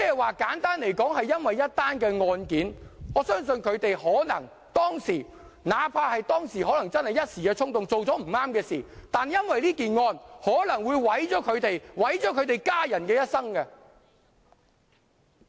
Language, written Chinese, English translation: Cantonese, 換言之，因為一宗案件——我相信他們當時可能一時衝動，做了不對的事情——但這宗案件可能會毀掉他們和家人的一生。, In other words this is due to their wrongdoing in one single case and I believe they did it probably on a fleeting impulse at the time but this case may ruin their lives and those of their family members